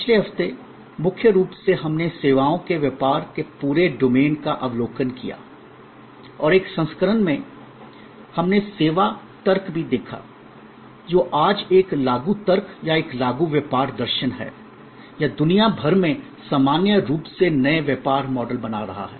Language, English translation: Hindi, Last week, mainly we took an overview of the whole domain of services business and in an edition; we also looked at the service logic, which today is an applicable logic or an applicable business philosophy or creating new business models in general across the world